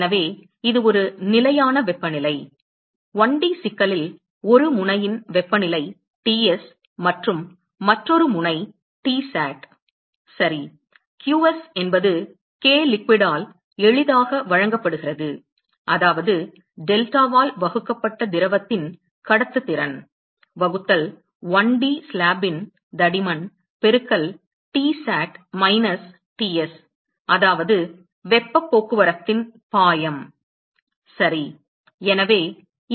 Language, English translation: Tamil, So, it is a fixed temperature the temperature of one end of the 1D problem is Ts and other end is Tsat ok; qs is simply given by k liquid that is the conductivity of the liquid divided by delta; divided by the thickness of the 1D slab right multiplied by Tsat minus Ts that is the flux of heat transport ok